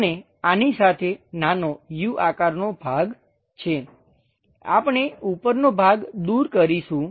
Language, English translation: Gujarati, And with this small u kind of portion, we remove the top portion